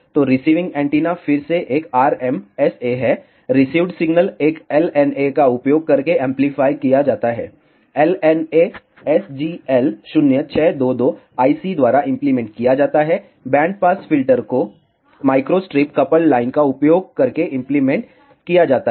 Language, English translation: Hindi, So, is the receiving antenna again an RMSA, the received signal is amplified using an LNA, the LNA is implemented by SGL 0622 I C the band pass filter is implemented using microstrip coupled line